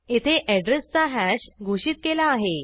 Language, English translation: Marathi, Here we have declared hash of address